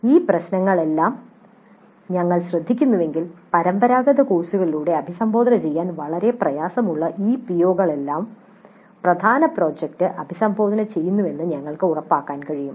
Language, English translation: Malayalam, If we take care of all these issues then we can ensure that the main project addresses all these POs which are very difficult to address through conventional courses